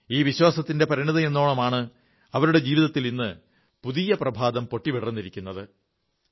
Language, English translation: Malayalam, It's a result of that belief that their life is on the threshold of a new dawn today